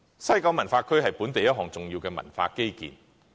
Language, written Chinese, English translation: Cantonese, 西九文化區是本地一項重要的文化基建。, WKCD is important as a local cultural infrastructure